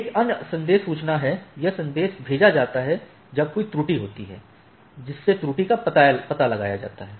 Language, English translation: Hindi, So, then another message is notification, this message is sent when a error occurs, your error is detected